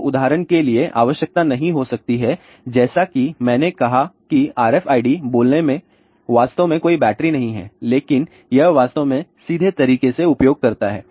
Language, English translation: Hindi, So, may not require for example, as I said RFID really speaking does not have any battery, but it actually uses straight way